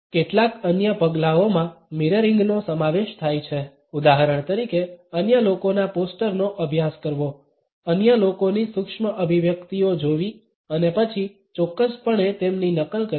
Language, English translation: Gujarati, Certain other steps include mirroring for example, is studying the poster of other people, looking at the micro expressions of other people and then certainly mimicking them